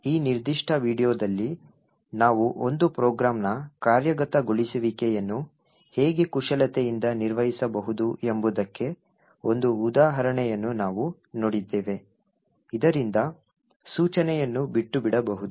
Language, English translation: Kannada, So, in this particular video, we have seen one example of how we could manipulate execution of a program in such a way so that an instruction can be skipped